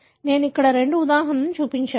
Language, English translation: Telugu, I have shown here two examples